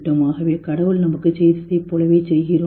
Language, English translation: Tamil, So are we doing the same thing what God did to us